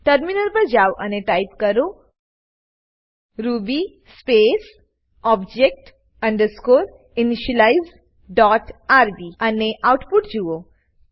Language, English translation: Gujarati, Switch to the terminal and type ruby space object underscore initialize dot rb and see the output